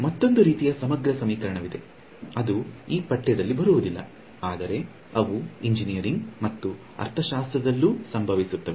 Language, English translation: Kannada, There is yet another kind of integral equation which we will not come across in this course, but they also occur throughout engineering and even economics